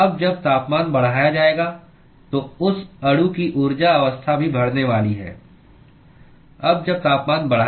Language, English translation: Hindi, Now when the temperature is increased, the energy state of that molecule also is going to be increased, right